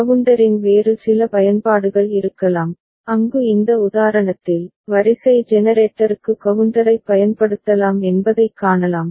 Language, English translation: Tamil, There can be few other uses of counter where we can see that counter can be used for in this example, sequence generator